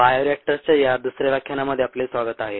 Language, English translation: Marathi, welcome to this ah second lecture on bioreactors